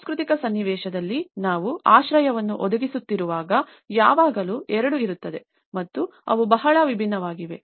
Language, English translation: Kannada, In a cultural context, when we are providing a shelter, there is always two and they are very distinct